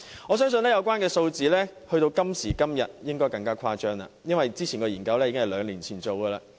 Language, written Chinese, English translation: Cantonese, 我相信有關數字到了今時今日應更為誇張，因為這項研究是在兩年前進行的。, The survey was done two years ago and I reckon that the relevant figures must have become more stunning if the survey is conducted today